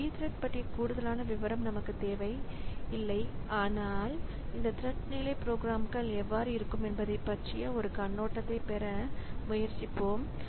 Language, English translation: Tamil, So we will not go into much detail of this P threats but we'll try to get a glimpse of like how this thread level programs will look like